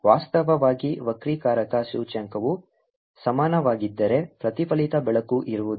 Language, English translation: Kannada, in fact, if the refractive index become equal, then there will be no reflected light